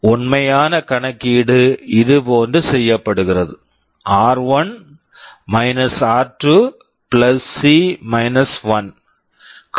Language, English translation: Tamil, The actual calculation is done like this: r1 r 2 + C 1